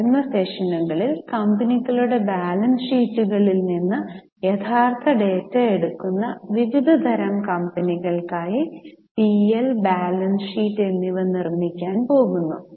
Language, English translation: Malayalam, In coming sessions we are going to make P&L and balance sheet for various types of companies, taking the actual data from the balance sheets of companies